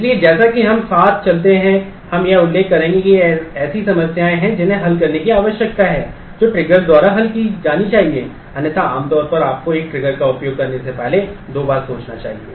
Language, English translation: Hindi, So, as we go along we will mention that these are the problems that need to solve get solved by triggers; otherwise normally you should think twice before you actually use a triggers